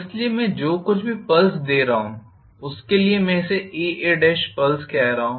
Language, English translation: Hindi, So, for every pulse what I am giving I am calling this as a pulse A and A Dash